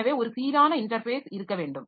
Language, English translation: Tamil, So, I should have an uniform interface